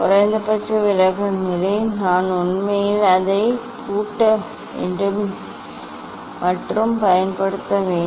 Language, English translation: Tamil, minimum deviation position I have to actually one should lock it and use it for